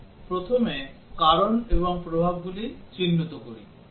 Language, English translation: Bengali, Let us identify the causes and the effects first